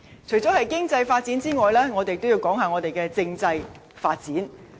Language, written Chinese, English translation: Cantonese, 除了經濟發展之外，我亦要談論政制發展。, Besides economic development I would also like to talk about constitutional development